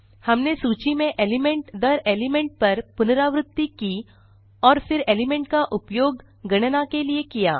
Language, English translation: Hindi, All what we did was iterate over the list element by element and then use the element for calculation